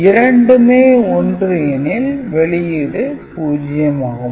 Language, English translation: Tamil, So, this is thus this output is 1